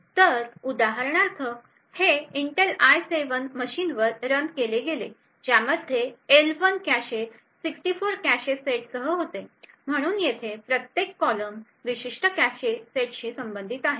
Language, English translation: Marathi, So for example this was run on an Intel i7 machine which had an L1 cache with 64 cache sets, so each column over here corresponds to a particular cache set